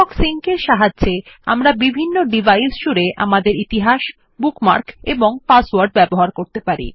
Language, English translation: Bengali, Firefox Sync lets us use our history, bookmarks and passwords across different devices